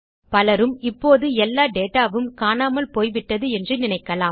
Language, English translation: Tamil, Most people would think all that data has been lost now